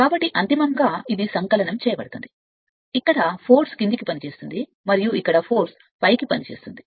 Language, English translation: Telugu, So, finality it is additive that is why it is you are what you call force is acting downwards, and just opposite here the force is acting you are what you call upwards right